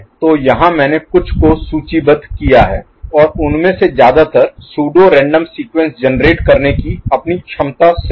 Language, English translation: Hindi, So, here I have listed a few and majority of them from its ability to generate pseudo random sequence